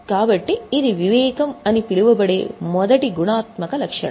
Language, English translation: Telugu, So, this is the first qualitative characteristic known as prudence